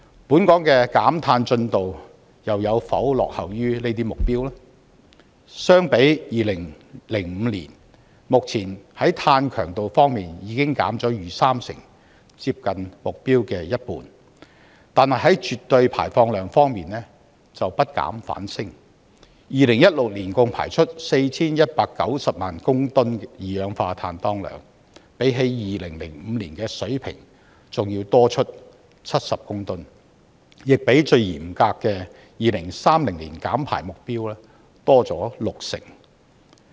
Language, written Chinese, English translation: Cantonese, 本港的減碳進程有否落後於這些目標呢？相比2005年，目前在碳強度方面已經減了逾三成，接近目標的一半。但是，絕對排放量卻不減反升，在2016年共排出 4,190 萬公噸二氧化碳當量，比起2005年的水平還要多出70公噸，亦比最嚴格的2030年減排目標多了六成。, However as reflected in the monitoring report on the implementation of the Paris Agreement after a period of stagnation for three years the amount of global greenhouse gas emissions increased last year to a record - breaking level of 49.2 billion tonnes of carbon dioxide equivalent and the progress made by many countries including the Group of Twenty in carbon reduction fell far short of their committed target